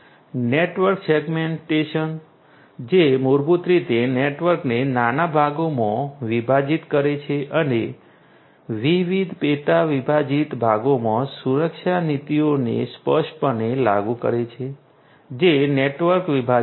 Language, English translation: Gujarati, Network segmentation, which is basically dividing the network into smaller parts and enforcing security policies explicitly in those different subdivided parts that is network segmentation